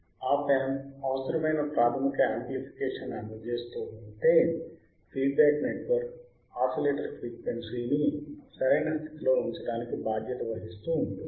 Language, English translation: Telugu, The Op amp provides the basic amplification needed while the feedback network is responsible for setting the oscillator frequency correct